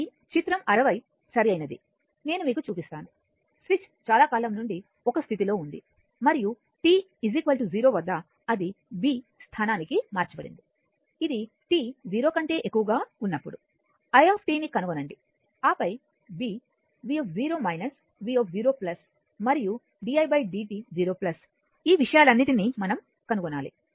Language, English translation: Telugu, So, in figure 60 right I will show you, the switch has been in position a for a long time right and at t is equal to 0 it is thrown to position b, determine you have to determine a that is i t for t greater than 0, then b v 0 minus then v 0 plus and di by dt 0 plus right all these things we have to determine